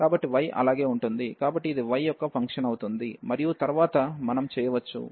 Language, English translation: Telugu, So, the y will remain as it is so this will be a function of y and then we can so this is a repeated integral